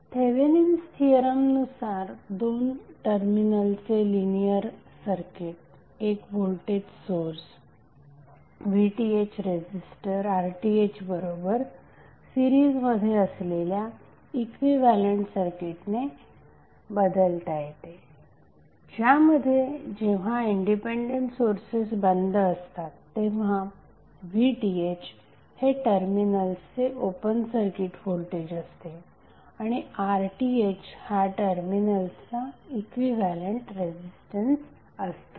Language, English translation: Marathi, So what does Thevenin’s theorem says: A linear two terminal circuit can be replaced by an equivalent circuit consisting of a voltage source VTh In series with resistor RTh where VTh is the open circuit voltage at the terminals and RTh is the equivalent resistance at the terminals when the independent sources are turned off